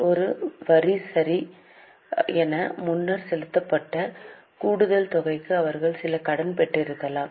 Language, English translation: Tamil, Perhaps they have received some credit for extra amount paid earlier as a tax